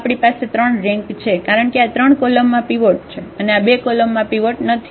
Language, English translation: Gujarati, So, we have the 3 rank because these 3 columns have pivots and these two columns do not have pivot